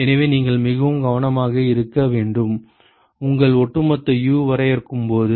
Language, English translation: Tamil, So, you should be very careful, when you define your overall U ok